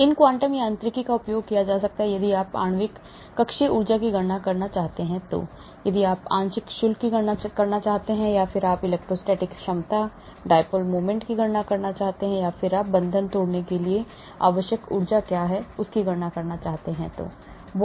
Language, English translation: Hindi, These quantum mechanics can be used if you want to calculate molecular orbital energy, if you want to calculate partial charges, if you want to calculate electrostatic potentials, dipole moments, if you want to calculate what is the energy required for breaking bonds, energy required for forming bonds and so on actually